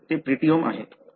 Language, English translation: Marathi, So, that is a proteome